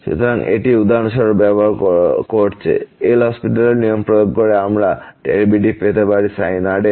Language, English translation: Bengali, So, this is using the for example, L Hopital’s rule we can get the derivative of sin